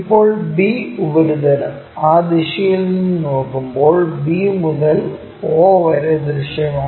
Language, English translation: Malayalam, Now, b surface b to o when we are looking from that direction that is also visible